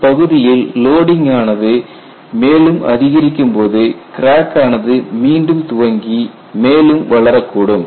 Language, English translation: Tamil, Then as the load is increased, that crack can again reinitiate and grow further